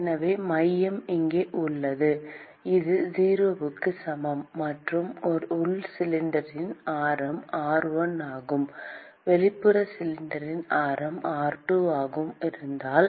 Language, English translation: Tamil, So, the centre is here: this is r equal to 0; and if the radius of the inner cylinder is r1 and the radius of the outer cylinder is r2